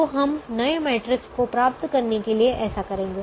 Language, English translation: Hindi, so we do that to get the new matrix